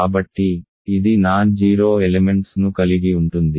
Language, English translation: Telugu, So, if it contains non zero elements